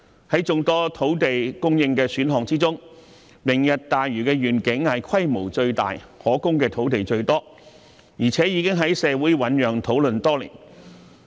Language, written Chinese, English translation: Cantonese, 在眾多土地供應的選項當中，"明日大嶼願景"規模最大，提供的土地最多，而且已經在社會醞釀討論多年。, Among the many land supply options the Lantau Tomorrow Vision is the largest in scale and can provide the greatest amount of land . Moreover it has been explored and discussed by the community for years